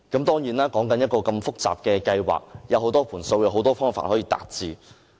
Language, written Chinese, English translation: Cantonese, 當然這麼複雜的計劃，有很多"盤數"、很多方法可以達致。, For such a complicated scheme it is just reasonable to have various financial projections and implementation methods